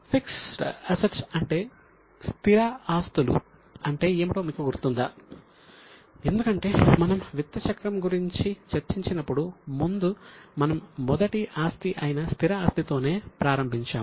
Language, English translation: Telugu, Because when we discussed money cycle, we had started with the first asset which is fixed asset